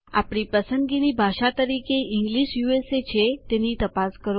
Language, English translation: Gujarati, Check that English USA is our language choice